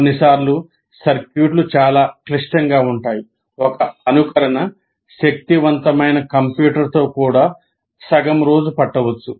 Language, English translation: Telugu, Sometimes the circuits are so complex, one simulation run may take a half a day, even with the powerful computer